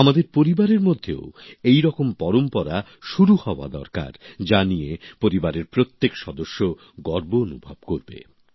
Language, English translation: Bengali, Such a tradition should be made in our families, which would make every member proud